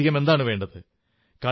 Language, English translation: Malayalam, What else does one need